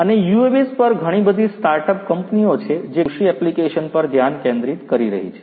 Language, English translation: Gujarati, And also there are a lot of startup companies on UAVs which are focusing on agricultural application